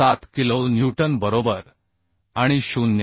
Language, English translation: Marathi, 47 kilo newton right and 0